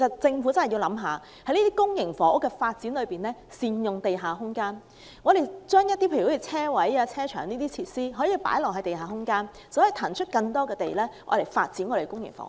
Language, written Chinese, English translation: Cantonese, 政府在發展公營房屋時應考慮善用地下空間，在地下空間興建停車場等設施，便能騰出更多土地發展公營房屋。, The Government should consider making full use of underground space for facilities such as parking lots so that more land can be freed up for public housing